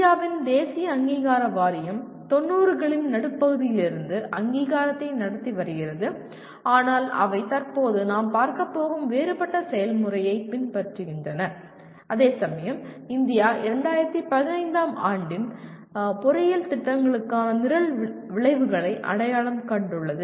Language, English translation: Tamil, Whereas National Board of Accreditation of India has been conducting accreditation also from middle ‘90s but they were following a different process we will presently see whereas India identified the program outcomes for engineering programs only in 2015